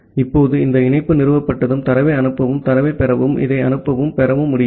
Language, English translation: Tamil, Now, once this connection is established, then you can make this send and receive call to send the data and receive the data